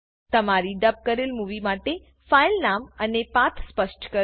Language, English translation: Gujarati, Enter the file name for your dubbed movie and specify the path